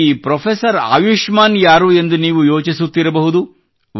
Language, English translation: Kannada, It is possible that you must be wondering who Professor Ayushman is